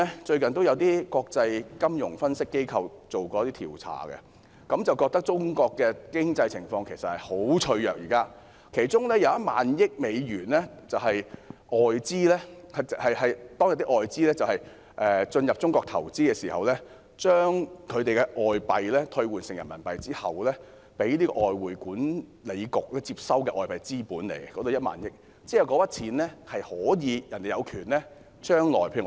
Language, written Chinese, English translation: Cantonese, 最近有些國際金融分析機構進行了一些調查，覺得中國現時的經濟情況十分脆弱，其中有1萬億美元是外資企業進入中國投資，把外幣兌換成人民幣後，被外匯管理局接收的外幣資本，外資企業將來有權撤回那筆錢。, According to the findings of some surveys recently conducted by some international financial analysts the current economic situation of China is very fragile . Of the foreign exchange reserves US1,000 billion are foreign capital of enterprises coming to China for investment . Such capital are converted to Renminbi and kept as foreign currency capital at the State Administration of Foreign Exchange